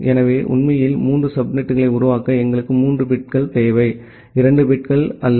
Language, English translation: Tamil, So, to create three subnets indeed, we require 3 bits and not 2 bits